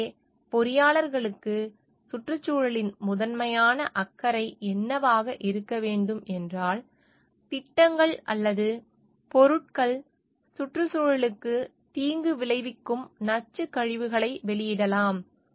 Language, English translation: Tamil, So, what are the why environment should be a primary concern for engineers are like projects or products can release toxic wastes, which have detrimental effect on the environment